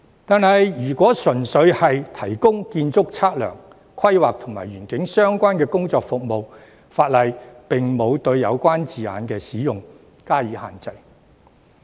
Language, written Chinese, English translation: Cantonese, 可是，如果純粹只是提供建築測量、規劃及園境相關的工作服務，法例則沒有對有關字眼的使用施加限制。, Nonetheless if only the provision of work and services relating to architect surveying planning and landscape is involved the law has not imposed any restriction on the use of the relevant terms